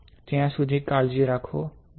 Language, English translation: Gujarati, Till then you take care, bye